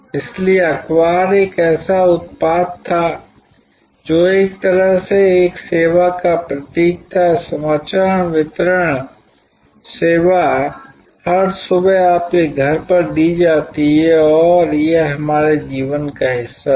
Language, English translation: Hindi, So, newspaper was a product which was also in a way embodied a service, news delivery service was delivered at your doorstep every morning and it was part of our life for years